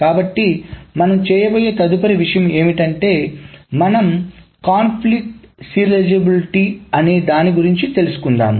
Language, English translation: Telugu, So the next thing what we will do is we will study what is called the conflict serializability